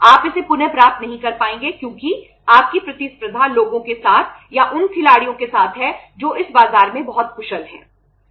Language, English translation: Hindi, You would not be able to regain it because your competition is with the people or with the players who are very efficient in this market